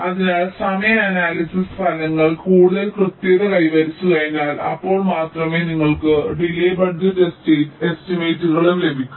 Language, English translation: Malayalam, ok, so once the timing analysis results become more accurate, so only then you can get the delay budget estimates as well